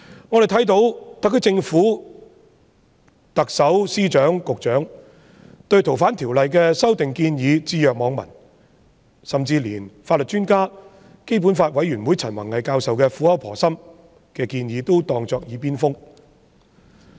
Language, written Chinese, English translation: Cantonese, 我們看到特區政府、特首、司長和局長對反對修訂《逃犯條例》的聲音置若罔聞，甚至連法律專家、香港基本法委員會陳弘毅教授苦口婆心的建議亦當作"耳邊風"。, We see that the SAR Government the Chief Executive the Secretaries and Bureau Directors have turned a deaf ear to the views opposing the amendment of FOO . They even neglected the recommendations earnestly made by Prof Albert CHEN a legal expert and member of the HKSAR Basic Law Committee